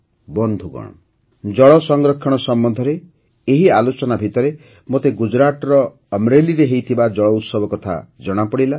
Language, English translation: Odia, Friends, amidst such discussions on water conservation; I also came to know about the 'JalUtsav' held in Amreli, Gujarat